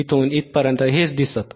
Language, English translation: Marathi, This is what we see from here to here